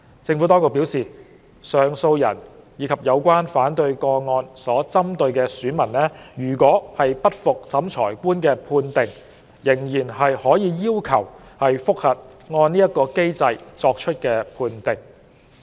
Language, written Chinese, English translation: Cantonese, 政府當局表示，上訴人及有關反對個案所針對的選民如不服審裁官的判定，仍可要求覆核按此機制作出的判定。, The Administration has advised that the appellants and the person in respect of whom the objection is made can still request a review of the ruling made under this mechanism if heshe is not satisfied with the Revising Officers ruling